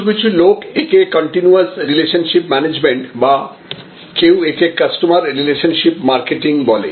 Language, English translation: Bengali, But, some peoples call it continuous relationship management or it may somebody may call it customer relationship marketing